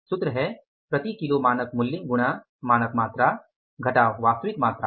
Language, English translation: Hindi, What is the formula of standard price per kg into standard quantity minus actual quantity